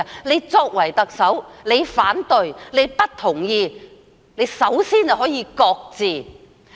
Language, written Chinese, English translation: Cantonese, 她作為特首，如果反對或不同意，首先可以擱置。, Being the Chief Executive she can shelve the policy if she objects to or disagrees with it